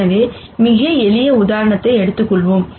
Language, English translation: Tamil, So, let us take a very, very simple example